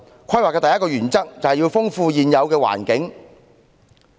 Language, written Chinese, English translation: Cantonese, 規劃的第一個原則，是要豐富現有環境。, The first principle in planning is the need to enrich the existing environment